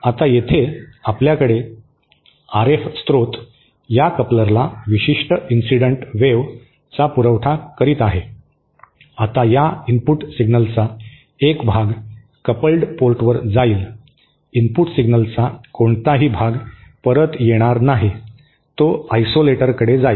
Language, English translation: Marathi, Now, here we have RF source supplying a certain incident wave to this coupler, now a part of this input signal will go to the coupled port, no part of the input signal will come back to the will go to the isolator